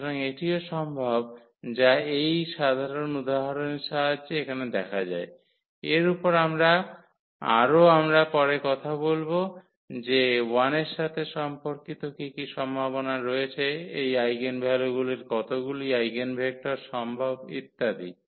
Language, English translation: Bengali, So, that is also possible which can be seen here with the help of this simple example; more on this we will be talking about later that what are the possibilities corresponding to 1 this eigenvalues how many eigenvectors are possible and so on